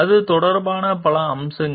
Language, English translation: Tamil, And many other aspects related to it